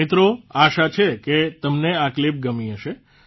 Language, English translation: Gujarati, Friends, I hope you have liked them